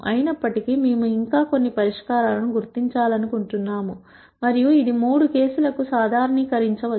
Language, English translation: Telugu, However we still want to identify some solution which makes sense and which we can generalize for all the three cases